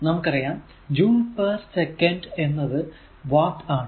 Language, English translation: Malayalam, So, joule is equal to watt second